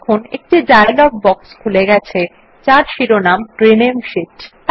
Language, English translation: Bengali, You see that a dialog box opens up with the heading Rename Sheet